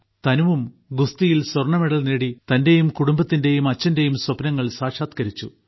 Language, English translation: Malayalam, By winning the gold medal in wrestling, Tanu has realized her own, her family's and her father's dream